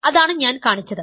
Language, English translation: Malayalam, So, that is what I have shown